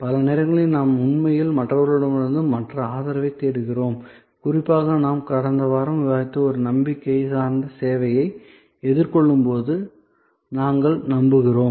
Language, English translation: Tamil, So, many times we actually look for other support from other people, people we trust particularly when we face a credence oriented service which we discussed in last week